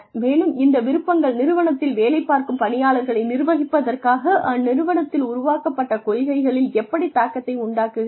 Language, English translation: Tamil, And then, how these interests led to influence the policies, that were formed in the organization, regarding the management of the people, who were working in these organizations